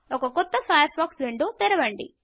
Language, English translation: Telugu, And open a new Firefox window